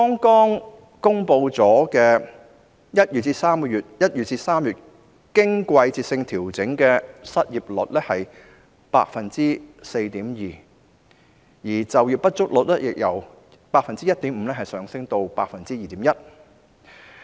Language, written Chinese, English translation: Cantonese, 剛公布的1月至3月經季節性調整的失業率是 4.2%， 就業不足率則由 1.5% 上升至 2.1%。, The seasonally adjusted unemployment rate just released was 4.2 % between January and March whereas underemployment rate has risen from 1.5 % to 2.1 %